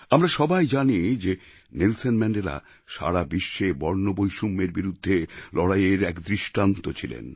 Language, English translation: Bengali, We all know that Nelson Mandela was the role model of struggle against racism all over the world and who was the inspiration for Mandela